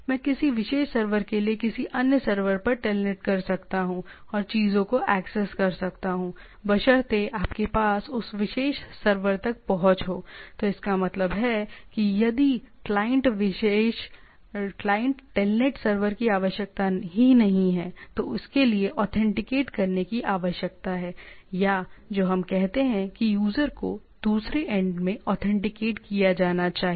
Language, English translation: Hindi, I can telnet to another server to a particular server and access the things, all provided you have the access to that particular server, so that means, if not only the requirement of the client telnet server, there is a requirement of authentication for that or what we say the user should be authenticated other end